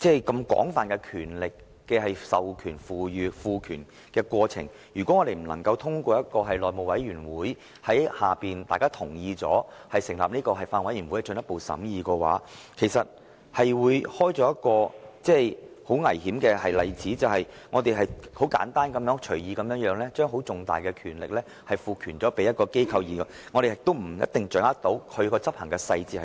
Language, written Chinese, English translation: Cantonese, 如果向金管局賦予這種廣泛權力的過程不經內務委員會及隨後經議員同意而成立的法案委員會進一步審議，便會開創危險的先例，即我們只是簡單而隨意地把重大的權力賦予一間機構，但卻無法掌握當中的執行細節。, If the process of granting HKMA such extensive powers is not subjected to further scrutiny by the House Committee and then by a Bills Committee set up with the consensus of Members it will set a dangerous precedent of the Legislative Council easily and arbitrarily granting significant powers to an organization but failing to grasp the details of implementation